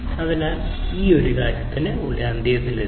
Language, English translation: Malayalam, So, with this we come to an end